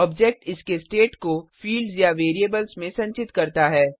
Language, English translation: Hindi, Object stores its state in fields or variables